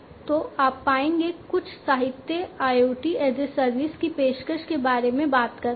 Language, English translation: Hindi, So, you will find, you know, some literature talking about offering IoT as a service